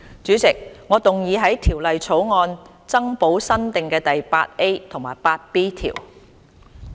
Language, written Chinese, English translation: Cantonese, 主席，我動議在條例草案增補新訂的第 8A 及 8B 條。, Chairman I move that new clauses 8A and 8B be added to the Bill